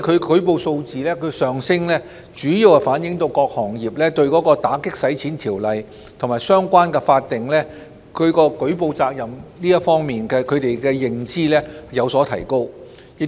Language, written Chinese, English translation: Cantonese, 舉報數字上升，主要反映各行業對有關打擊洗錢的條例及相關法定舉報責任的認知有所提高。, The rise in the STRs mainly reflects an enhanced degree of awareness of anti - money laundering legislation and relevant statutory reporting obligations among various industries